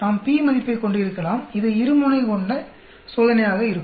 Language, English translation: Tamil, We can have the p value and this will be a two tailed test